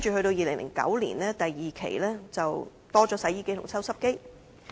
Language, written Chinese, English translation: Cantonese, 到2009年，推出了第二階段，加入了洗衣機及抽濕機。, By 2009 the second phase was introduced to include washing machines and dehumidifiers